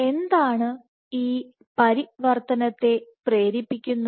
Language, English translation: Malayalam, What drives this transition